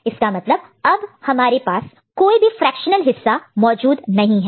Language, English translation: Hindi, So, in this is after that there is no further fractional part available